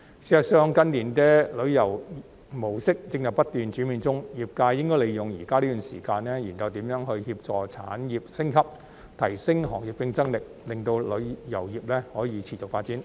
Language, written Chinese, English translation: Cantonese, 事實上，近年的旅遊模式正在不斷轉變中，業界應該利用現在這段時間，研究如何協助產業升級，提升行業競爭力，令旅遊業可持續發展。, As a matter of fact the mode of travel is changing in recent years . The industry should make use of this time to examine ways to facilitate the upgrade of the industry and enhance its competitiveness so that the tourism industry can develop in a sustainable way